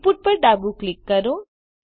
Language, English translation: Gujarati, Release left click